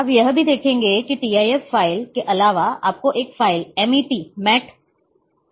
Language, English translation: Hindi, You will also see that a apart from tif file you also find a file which is MET